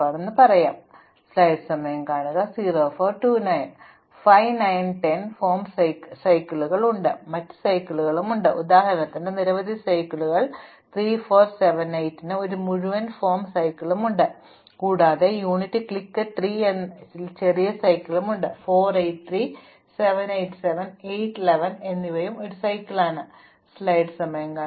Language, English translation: Malayalam, So, for instance 5, 9 and 10 forms a cycle, there are also other cycles, there are several cycles for example, 3, 4, 7, 8 as a whole form a cycle but there are also smaller cycles within it like 3, 4, 8 and 3, 7, 8 and 7, 8, 11 is also a cycle and so on